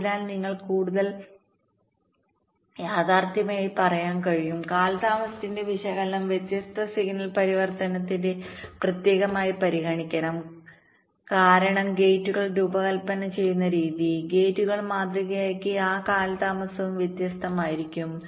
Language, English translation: Malayalam, so a more realistic ah, you can say, means analysis of the delays should consider the different signal transition separately, because the way gates are designed, gates are modeled, those delays can also be different, right